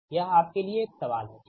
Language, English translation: Hindi, this is a question to you, right